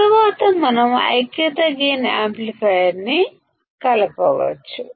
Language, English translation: Telugu, Then we can connect the unity gain amplifier